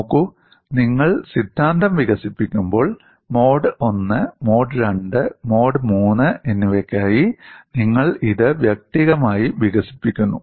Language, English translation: Malayalam, See, when you develop the theory, you develop it individually for mode 1, mode 2, and mode 3